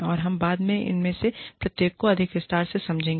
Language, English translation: Hindi, And, we will deal with, each of those later, in greater detail